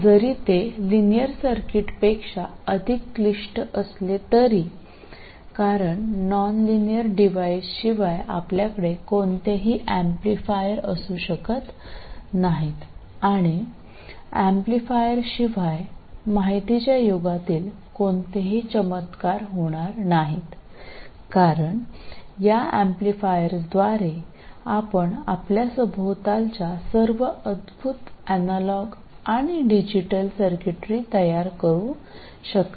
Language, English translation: Marathi, Because without nonlinear devices we can't have any amplifiers and without amplifiers we can't have any of the wonders of the information age because it's with amplifiers that you can build all the wonderful analog and digital circuitry that are all around us